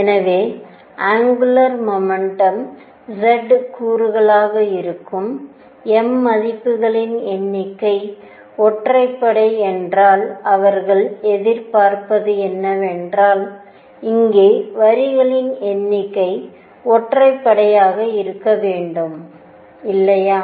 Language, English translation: Tamil, So, if number of m values that is z component of angular momentum is odd what they would expect to see is that the number of lines here should be odd, right